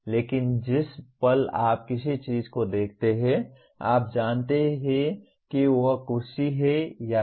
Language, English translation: Hindi, But the moment you look at something you know whether it is a chair or not